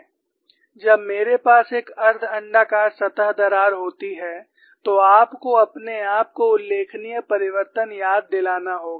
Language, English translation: Hindi, When I have a semi elliptical surface crack, you have to remind yourself the notational change